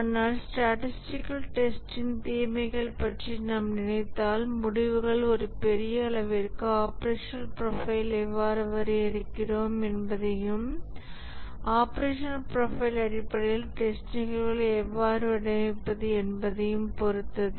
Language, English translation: Tamil, But if we think of the disadvantages of statistical testing, one is that the results to a large extent depend on how do we define the operational profile and also how do we design the test cases based on the operational profile